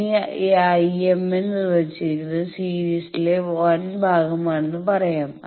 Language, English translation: Malayalam, Now, let us say that IMN built of 1 part in series